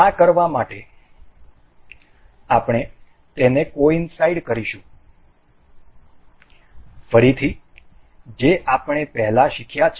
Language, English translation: Gujarati, To do this we will coincide it again that we have learned earlier